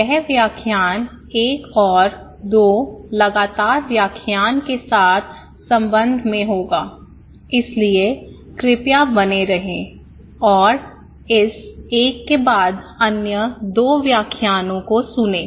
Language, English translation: Hindi, So, this series; this lecture would be in relationship with another two successive lectures, so please stay tuned and listen the other two lectures after this one, okay